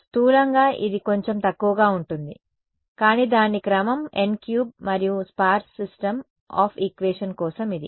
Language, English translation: Telugu, Roughly it is little bit less, but its order of n cube and for the sparse system of equation it is